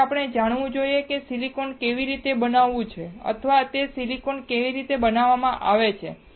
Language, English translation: Gujarati, So, we should know how silicon is fabricated all right or how the silicon is manufactured